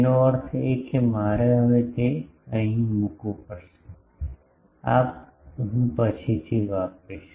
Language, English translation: Gujarati, That means, I will have to now I put it here, this I will use later